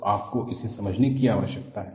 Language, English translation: Hindi, So, you need to understand this